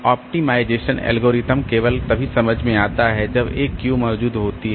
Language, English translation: Hindi, Optimization algorithms only make sense when a Q exists